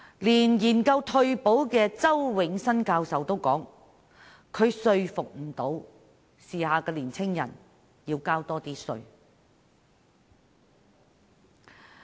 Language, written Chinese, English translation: Cantonese, 連研究退休保障的周永新教授也表示無法說服時下年青人要多交稅。, Even Prof Nelson CHOW a retirement protection specialist has likewise said that it is impossible to convince young people of the present times to pay higher taxes